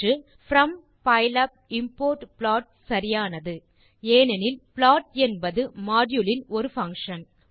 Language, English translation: Tamil, The option from pylab import plot is the correct one, since plot is a function of module module